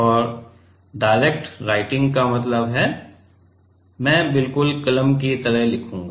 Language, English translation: Hindi, And direct writing means, I will be writing just like a pen